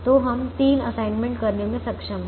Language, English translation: Hindi, so we are able to make three assignments